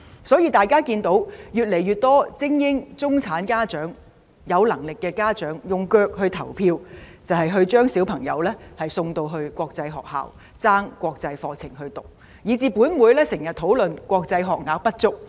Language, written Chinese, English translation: Cantonese, 所以，越來越多精英、中產家長、有能力的家長，用腳來投票，就是將子女送到國際學校，以至本會經常討論國際學校學額不足。, Thus an increasing number of elite middle - class parents who have the means have voted with their feet by sending their children to international schools . As a result an inadequate supply of international school places has become a frequent topic of discussion in this Council